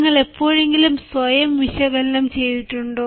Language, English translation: Malayalam, have you ever analyzed yourself